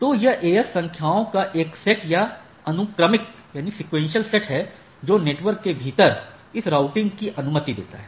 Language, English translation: Hindi, So, it is a set of or sequential set of AS numbers, which allow this routing within the network